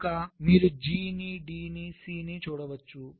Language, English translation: Telugu, you can see g, you can see d, you can see c